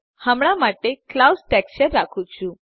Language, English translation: Gujarati, For now I am keeping the Clouds texture